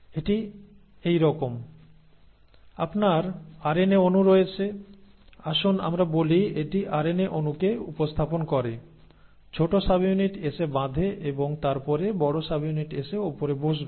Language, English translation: Bengali, So, it is like this; you have the RNA molecule, let us say this represents the RNA molecule, the small subunit comes and binds and then the big subunit will come and sit on top